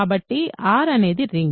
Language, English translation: Telugu, So, R is a ring